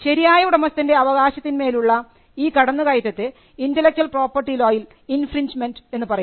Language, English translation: Malayalam, A violation of a right of right owner is what is called an intellectual property law as infringement